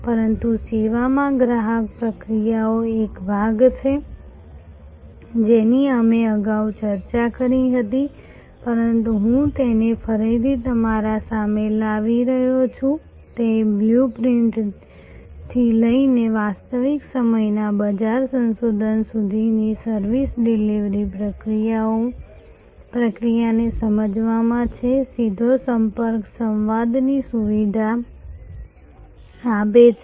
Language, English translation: Gujarati, But, in service customer is part of the process, this we have discussed earlier, but I have just bringing it again in front of you that right from the blue printing, which is in understanding the service delivery process to real time market research, walk the path direct contact facilitates dialogue